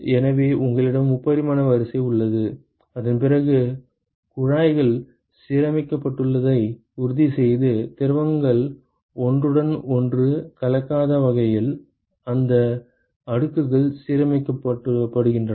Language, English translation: Tamil, So, you have a three dimensional array and then you make sure that the tubes are aligned in such a way these plots are aligned in such a way that the fluids do not mix with each other ok